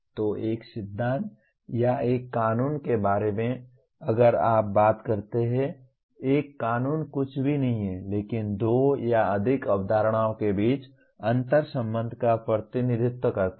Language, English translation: Hindi, So a principle or a law if you talk about, a law is nothing but represents interrelationship between two or more concepts